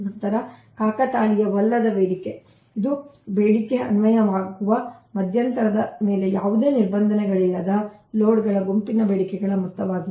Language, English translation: Kannada, then noncoincident, noncoincident demand, it is the sum of the demands of a group of loads with no restrictions on the interval to which is demand is applicable